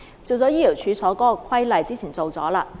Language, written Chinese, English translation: Cantonese, 有關醫療處所的規例，之前已經處理。, The regulation on medical premises has already been dealt with and this Bill seeks to deal with ATPs